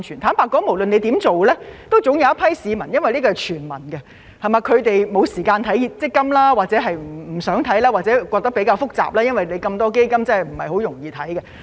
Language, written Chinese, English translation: Cantonese, 坦白說，無論怎樣做都總會有一批市民——因為這是全民的措施——沒有時間留意強積金，或認為比較複雜不想看，因為那麼多基金其實是不容易看的。, Frankly speaking as this is a universal measure there will always be people who do not have time to keep an eye on MPF or do not want to look at it due to its complexity and the fact that it is not easy to understand when there are so many funds